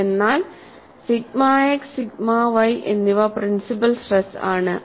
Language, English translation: Malayalam, So, sigma x and sigma y are principle stresses